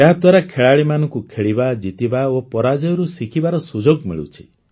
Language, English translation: Odia, They give players a chance to play, win and to learn from defeat